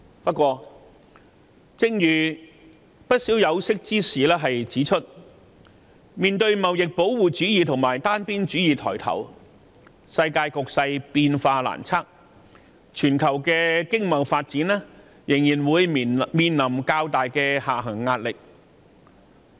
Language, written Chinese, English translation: Cantonese, 不過，正如不少有識之士指出，面對貿易保護主義及單邊主義抬頭，世界局勢變化難測，全球的經貿發展仍會面臨較大的下行壓力。, However as suggested by the experts owing to the rise of trade protectionism and unilateralism global development has become unpredictable and the global economy still has a greater pressure of a downturn